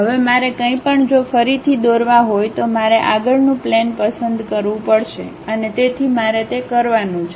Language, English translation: Gujarati, Now, anything if I want to really draw again I have to pick the Front Plane and so on things I have to do